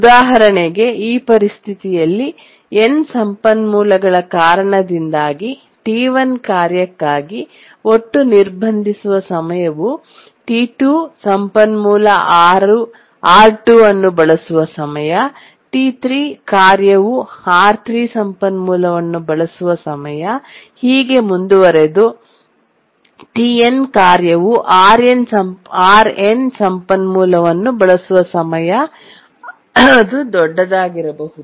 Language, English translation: Kannada, For example, for this situation, the total blocking time for the task T1 due to the end resources will be the time for which T2 uses the resource, R2, T3 uses the research R3 and so on, and TN needs the resource RN, which can be large